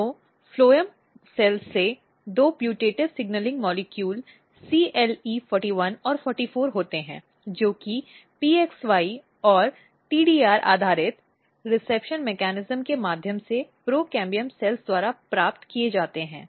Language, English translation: Hindi, So, from phloem cells there are two signaling two putative signaling molecule CLE41 and 44 they are being received by the procambium cells through PXY and TDR based reception mechanism